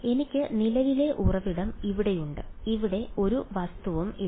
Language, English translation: Malayalam, So, I have the current source over here and there is no object over here